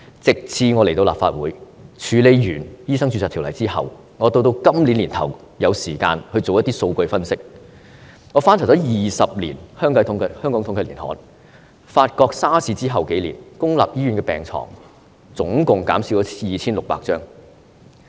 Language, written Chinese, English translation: Cantonese, 直至我來到立法會，處理完《醫生註冊條例》後，到今年年初，我有時間做一些數據分析，我翻查過去20年香港統計年刊，發覺 SARS 後數年，公立醫院的病床總共減了 2,600 張。, It was not until I became a Legislative Council Member had some time doing some statistical analysis early this year after finishing work concerning the Medical Registration Ordinance that I found out when going through the Hong Kong Annual Digests of Statistics for the past 20 years that a few years after the outbreak of SARS a total of 2 600 beds in public hospitals were cut